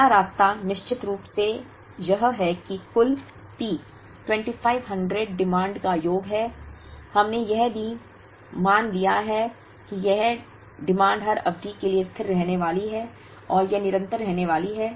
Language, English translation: Hindi, the first one is of course, is that the total P 2500 is sum of the demands, and we have also made an assumption that this demand is going to be constant for every period, and it is going to be continuous